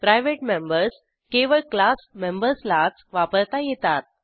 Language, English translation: Marathi, Private members can be used only by the members of the class